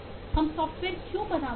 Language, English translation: Hindi, why do we make software